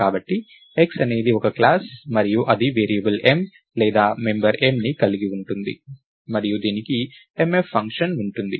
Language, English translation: Telugu, X is a class and it has a variable m or the member m and it has a function mf